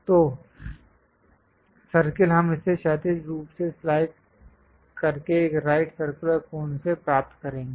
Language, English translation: Hindi, So, circle we will get it by slicing it horizontally to a right circular cone